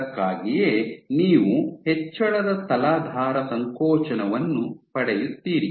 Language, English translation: Kannada, So, that is why you get increase substrate compression